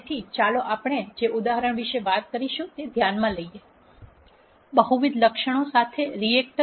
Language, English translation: Gujarati, So, let us consider the example that we talked about; the reactor with multi ple attributes